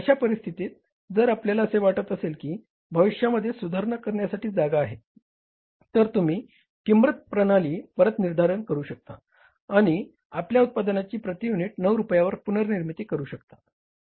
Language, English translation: Marathi, In that case, if you feel that there is a scope for the future improvements, you start redoing the pricing system and you can also reprise your product at 9 rupees per unit